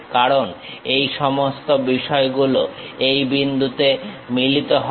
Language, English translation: Bengali, Because all these things are coinciding at this point